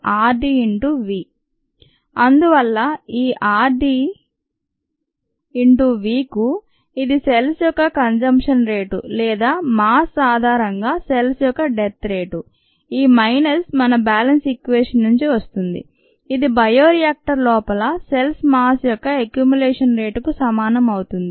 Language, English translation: Telugu, therefore, this r d into v, which is the ah rate of a consumption of cells or the rate of death of cells on a mass basis this minus comes from our ah balance equation equals the accumulation rate of the mass of cells inside the bioreactor when it is being sterilized